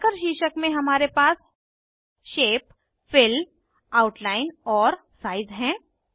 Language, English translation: Hindi, Under Marker heading we have Shape, Fill, Outline and Size